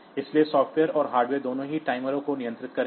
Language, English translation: Hindi, So, both software and hardware will control the timer